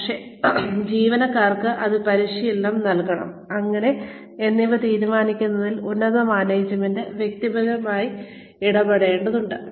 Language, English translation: Malayalam, But, the top management has to be personally involved in deciding, what the employees need to be trained in, and how